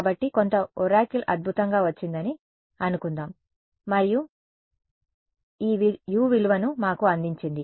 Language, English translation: Telugu, So, let us assume magically some oracle has come and given us this value of U